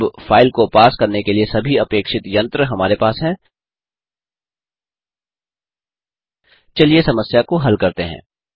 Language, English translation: Hindi, Now that we have all the machinery required to parse the file, let us solve the problem